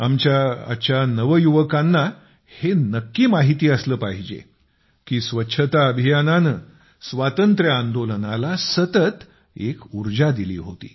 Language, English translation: Marathi, Our youth today must know how the campaign for cleanliness continuously gave energy to our freedom movement